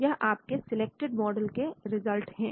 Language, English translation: Hindi, Your selected model results